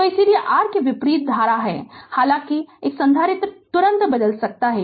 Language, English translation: Hindi, So, that is why your conversely the current though a capacitor can change instantaneously right